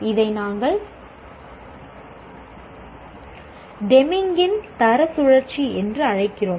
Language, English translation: Tamil, We call it Demings Quality Cycle